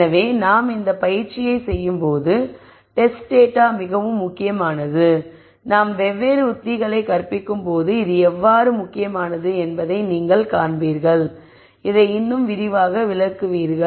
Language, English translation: Tamil, So, the test data is very important when we do this exercise and as we teach di erent techniques you will you will see how this is important and will explain this in greater detail